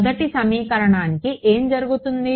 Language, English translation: Telugu, So, what happens to the first equation